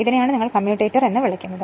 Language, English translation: Malayalam, This is your what you call commutator right